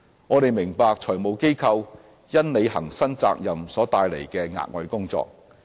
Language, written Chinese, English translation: Cantonese, 我們明白財務機構因履行新責任所帶來的額外工作。, We appreciate the extra work for FIs arising from the new obligations